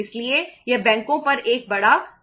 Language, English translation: Hindi, So this is a big pressure on the banks